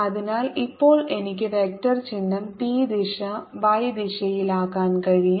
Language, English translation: Malayalam, ok, so now i can put the vector sign p is going to be in the y direction